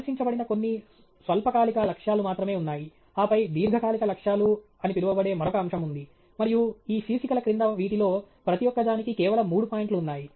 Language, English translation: Telugu, There are only some short term goals that are presented, and then there is an another topic called long term goals, and there are just three points on each of these under these headings